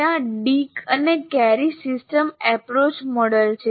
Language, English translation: Gujarati, There is one is called Dick and Carey Systems Approach model